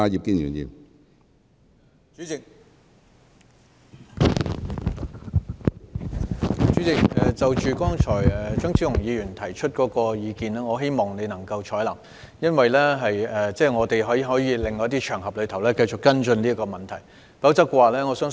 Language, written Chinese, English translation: Cantonese, 主席，張超雄議員剛才提出的意見，我希望你能夠採納，我們可在另一些場合繼續跟進這個問題。, President I hope you can take on board the view just put forward by Dr Fernando CHEUNG that we can continue to follow up on this issue on another occasion